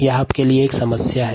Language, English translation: Hindi, ok, this is a problem for you